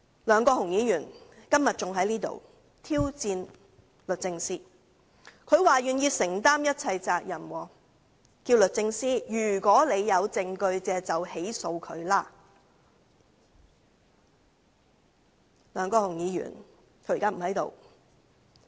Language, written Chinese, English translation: Cantonese, 梁國雄議員今天還在立法會挑戰律政司，說願意承擔一切責任；如果律政司有證據，大可對他提出起訴。, Today Mr LEUNG Kwok - hung has even challenged DoJ in the Legislative Council saying that he is willing to take every responsibility and DoJ can by all means prosecute him if it has any evidence